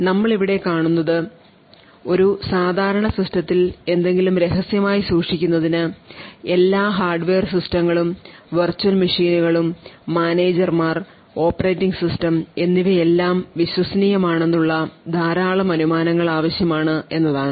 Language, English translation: Malayalam, So what we see over here is that in order to assume or keep something secret in a normal system we would require a huge amount of assumptions that all the underlined hardware the system software compromising of the virtual machines, managers and the operating system are all trusted